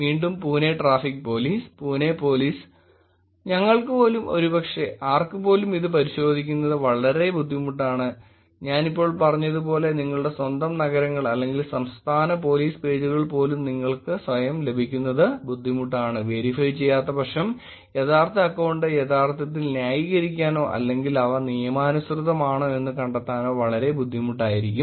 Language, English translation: Malayalam, Again Pune Traffic Police, Pune Police and it is actually very hard to verify, even for us, even for anybody, even when you go to get your own cities or state police pages as I said now, you yourself will find it hard to get the actual real account which unless it is verified is going to be a very hard to actually justify or find out whether they are legitimate